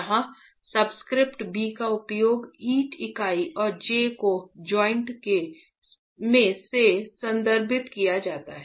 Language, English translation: Hindi, Here the subscript B is used to refer to the brick unit and J is referring to the joint itself